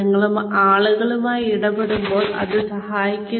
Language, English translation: Malayalam, It helps, when you are dealing with people